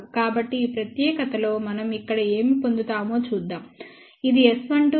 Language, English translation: Telugu, So, let us see what do we get here in this particular, this is S 12 plot